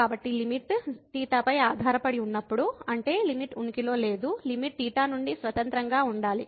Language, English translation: Telugu, So, when the limit depends on theta; that means, the limit does not exist the limit should be independent of theta